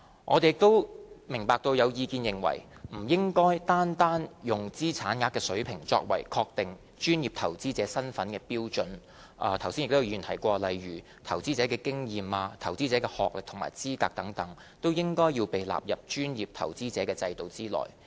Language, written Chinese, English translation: Cantonese, 我們也明白到有意見認為不應單單用資產額水平作為確定專業投資者身份的標準，剛才亦有議員提到，例如投資經驗及投資者的學歷或資格，亦應被納入專業投資者制度內。, We know that some Members have questioned the adoption of the monetary thresholds as the only criterion for determining the qualification of an individual or corporation as a PI . There have also been suggestions that investment experience as well as the experience or qualification of investors should also be incorporated into the PI regime